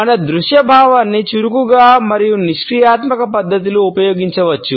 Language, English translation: Telugu, Our visual sense is used in an active manner as well as in a passive manner